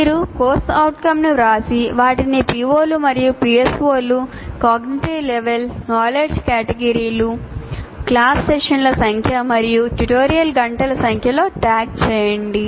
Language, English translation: Telugu, So you write the C O and then the P O's and PSOs addressed and then cognitive level, knowledge categories and class sessions and number of tutorial hours